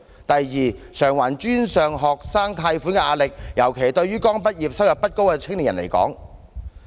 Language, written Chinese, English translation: Cantonese, 第二，償還專上學生貸款的壓力，尤其是對於剛畢業、收入不高的青年。, Secondly young people particularly the low - paid fresh graduates are under great pressure to repay their post - secondary education loans